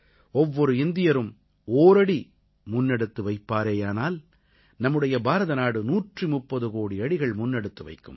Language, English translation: Tamil, When every Indian takes a step forward, it results in India going ahead by a 130 crore steps